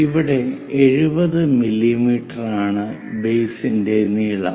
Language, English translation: Malayalam, Here the base length 70 mm is given